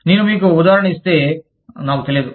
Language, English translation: Telugu, I do not know, if i gave you the example